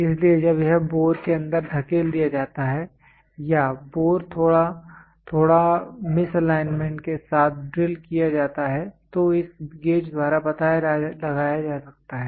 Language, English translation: Hindi, So, when it is pushed inside the bore or when they or the bore is drilled bit slight misalignment, then that can be found out by this gauge